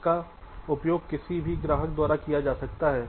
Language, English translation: Hindi, they can be used by any customer